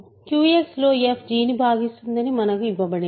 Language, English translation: Telugu, We are given that f divides g in Q X